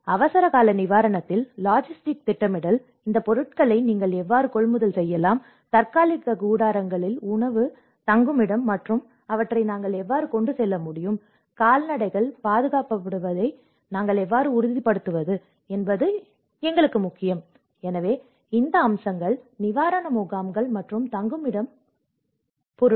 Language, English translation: Tamil, In the emergency relief, one has to look at the logistic planning, how you can procure these materials, the temporary tents, the food, the shelter and how we can transport them, how we can make sure that the livestock is protected you know, so all these aspects, relief shelters and sheltering materials